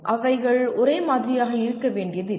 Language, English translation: Tamil, They do not have to be identical